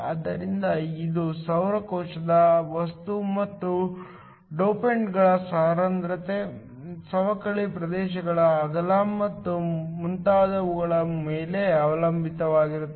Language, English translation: Kannada, So, this depends upon the material of the solar cell and also the kind of the dopants the concentration of the dopants, the width of the depletion regions and so on